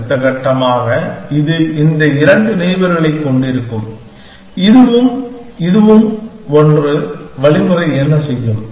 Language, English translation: Tamil, Next step, this will have these two neighbors, this one and this one, what will the algorithm do